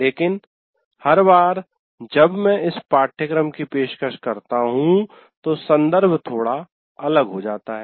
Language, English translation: Hindi, But what happens is every time I offer this course, the context slightly becomes different